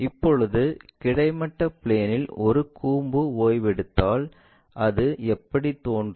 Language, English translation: Tamil, Now, if a cone is resting on horizontal plane, how it looks like same way